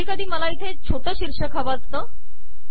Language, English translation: Marathi, Sometimes I may want to have a smaller title here